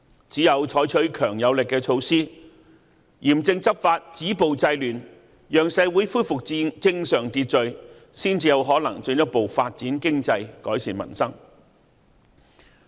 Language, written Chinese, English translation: Cantonese, 只有採取強而有力的措施，嚴正執法，止暴制亂，讓社會恢復正常秩序，才有可能進一步發展經濟、改善民生。, Only when the Government adopts strong measures to strickly enforce the law stop violence and curb disorder so as to restore social order can we further develop the economy and improve the peoples livelihood